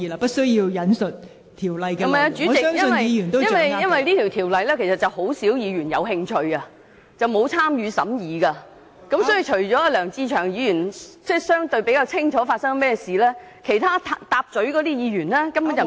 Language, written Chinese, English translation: Cantonese, 不是的，代理主席，因為只有很少議員對該規例有興趣，而且沒有參與審議工作，所以除了梁志祥議員比較清楚以外，其他議員都不太了解......, No Deputy Chairman . As only a few Members were interested in the Regulation and they had not participated in the deliberations other Members except Mr LEUNG Che - cheung did not quite understand